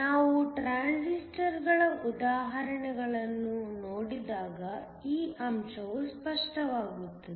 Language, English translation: Kannada, When we look at examples of transistors this point would be made clear